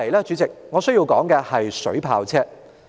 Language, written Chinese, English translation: Cantonese, 主席，我接着要談的是水炮車。, Chairman I will next talk about water cannon vehicles